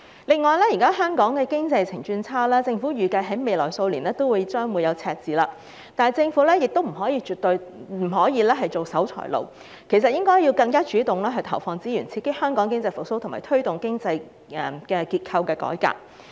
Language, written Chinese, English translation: Cantonese, 現時，香港經濟在疫情下轉差，政府預計未來數年都會出現赤字，但政府絕不可當守財奴，應該更主動投放資源，刺激香港經濟復蘇，推動經濟結構改革。, At present Hong Kongs economy is declining amid the epidemic and the Government has anticipated deficits in the next few years . However the Government must not be a miser . It should allocate resources more proactively so as to boost economic recovery in Hong Kong and promote structural economic reforms